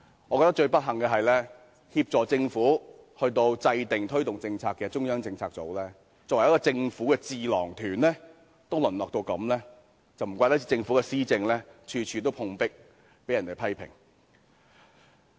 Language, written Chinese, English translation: Cantonese, 我覺得最不幸的是，協助政府制訂和推動政策的中策組，作為政府的智囊團，竟淪落到如斯地步，難怪政府的施政處處碰壁，被人批評。, I consider it most regrettable that CPU the Governments think tank which assists the Government in the formulation and promotion of policies has degenerated to such a state . No wonder the Governments administration has run up against the wall and attracted criticisms everywhere